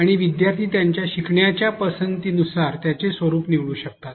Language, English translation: Marathi, And, learner can choose their format depending upon their learning preference